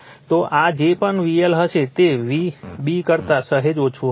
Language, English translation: Gujarati, So this one whatever V L will be, it will be slightly less than a b right